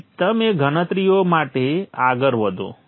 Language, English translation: Gujarati, Then you proceed with the calculations